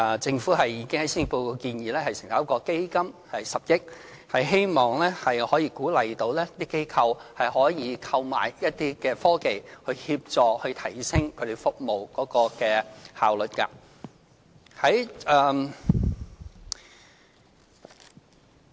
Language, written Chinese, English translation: Cantonese, 政府已經在施政報告建議成立一個10億元的基金，希望可以鼓勵機構購買一些科技，以協助提升他們的服務效率。, The Government has proposed in the Policy Address the setting up of a 1 billion - fund in a bid to incentivize some organizations to procure technology products to enhance their efficiency in service provision